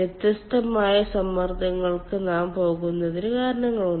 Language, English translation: Malayalam, there are reasons why we go for different pressure